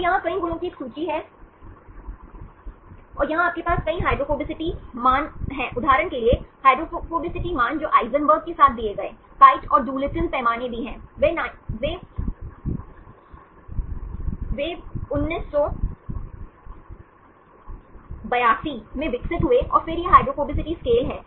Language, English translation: Hindi, So, here is a list of several properties and here we you have several hydrophobicity values for example, the hydrophobicity values given with Eisenberg also the Kyte and Doolittle scale, they developed in 1982 then this is the hydrophobicity scale